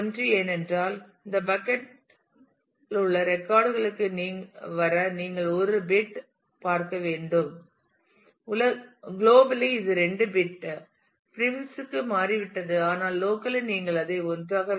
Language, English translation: Tamil, Because it is you just need to look at one bit to be able to come to the records in this bucket and the globally it has changed to 2 bits prefix, but locally you keep it as 1